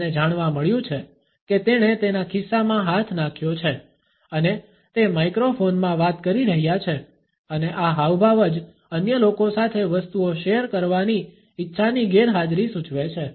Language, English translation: Gujarati, We find that he has thrust his hands into his pockets and he is talking into microphones and this gesture alone indicates the absence of the desire to share things with other people